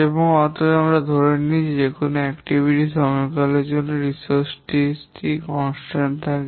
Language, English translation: Bengali, And therefore we assume that for an activity duration, the resource is constant